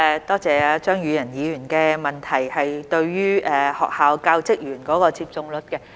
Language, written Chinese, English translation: Cantonese, 多謝張宇人議員有關學校教職員接種率的補充質詢。, I thank Mr Tommy CHEUNG for his supplementary question on the vaccination rate among school staff